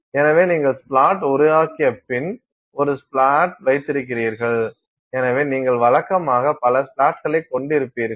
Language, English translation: Tamil, So, you have a splat after splat after splat forming on it and so, you usually will have multiple splats